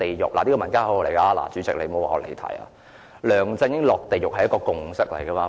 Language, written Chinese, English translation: Cantonese, 主席，這是民間的口號，請不要說我離題，"梁振英落地獄"是一個共識。, President this was the slogan chanted by the masses . Please do not say that I have digressed for LEUNG Chun - ying go to hell was the consensus